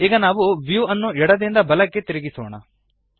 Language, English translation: Kannada, Now let us rotate the view left to right